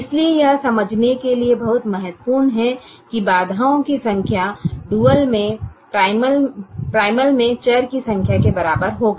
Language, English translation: Hindi, therefore the number of constraints in the dual will be equal to number of variables in the primal